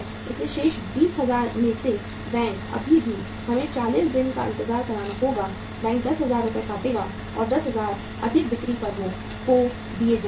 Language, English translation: Hindi, So bank out of the remaining 20,000 Rs Still we have to wait for the 40 days, bank will deduct 10,000 Rs and 10,000 more rupees will be given to the selling firms